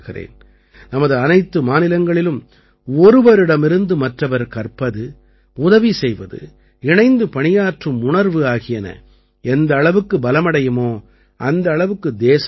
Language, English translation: Tamil, In all our states, the stronger the spirit to learn from each other, to cooperate, and to work together, the more the country will go forward